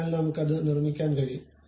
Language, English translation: Malayalam, So, inside also we can construct it